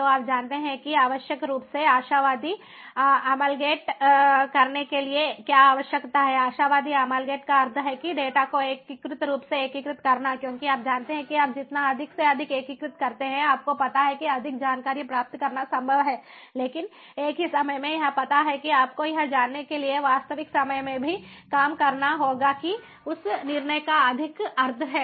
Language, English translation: Hindi, optimally amalgate means that integrate, optimally integrate the data, because you know, the more and more you integrate, you know it is possible to get more insight, but at the same time you know that also has to be done in real time to be, you know, for that decision to be more meaning